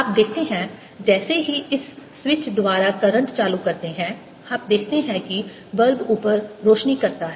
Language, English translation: Hindi, you see, as soon as i turned the current on by this switch, you see that the bulb lights up in a similar manner